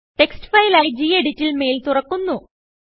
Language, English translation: Malayalam, The mail opens in Gedit as a text file